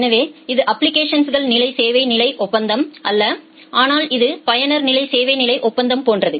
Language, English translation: Tamil, So, this is not application level service level agreement, but this is like user level service level agreement